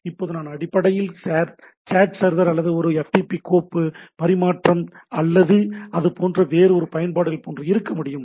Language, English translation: Tamil, Now I can basically talk like a chat server or a FTP file transfer or any other applications like that